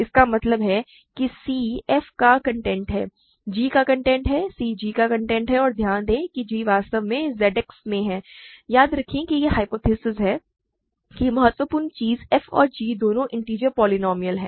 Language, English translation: Hindi, That means c is the content of f; content of g right; c is the content of g and note that g is actually in Z X, remember that is the hypothesis the crucial thing is f and g are both integer polynomials